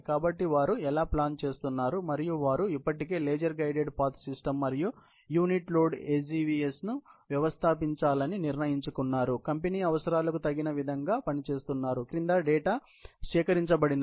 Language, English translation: Telugu, So, that is how they are planning, and they have already decided to install a laser guided path system and unit load AGVS, adequately serves the company’s needs